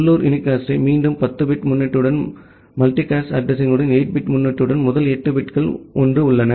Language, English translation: Tamil, Then site local unicast again with a 10 bit prefix the multicast address with the 8 bit prefix where all the first 8 bits are 1